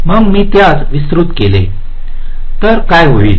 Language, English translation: Marathi, so if i make it wider, what will happen